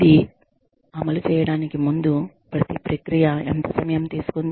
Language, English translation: Telugu, How much time, has each process taken, before this was implemented